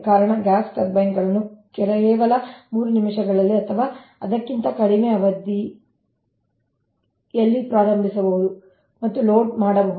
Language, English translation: Kannada, the reason is gas turbines can be started and loaded in just three minutes or less, because it is very it